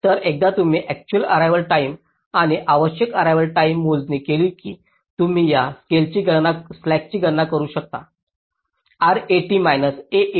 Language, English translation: Marathi, so you have see, once you have calculated the actual arrival time and the required arrival time, you can also calculate this slack: r, eighty minus s e t